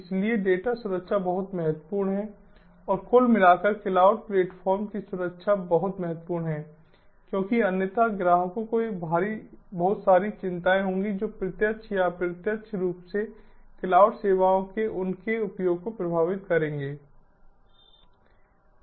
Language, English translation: Hindi, so data security is very important and overall, the security of the cloud platform is very important, because otherwise the customers will have lot of concerns which will affect, directly or indirectly, their use of cloud services